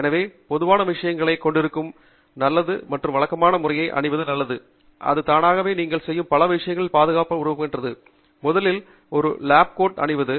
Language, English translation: Tamil, So, common things that are good to have and good to wear on a regular basis, which makes automatically build safety into many of the things that you do are first of all to wear a lab coat